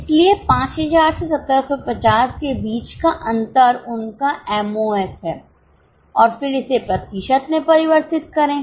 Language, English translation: Hindi, So, difference between 5,000 minus 1,750 is their MOS and then convert it into percentage